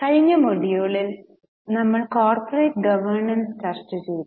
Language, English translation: Malayalam, Namaste In our last module we had discussed corporate governance